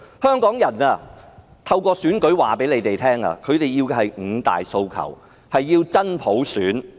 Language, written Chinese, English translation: Cantonese, 香港人透過選舉告訴他們，香港人要的是五大訴求，要真普選......, Through the elections Hong Kong people have told them that they call for the five demands and genuine universal suffrage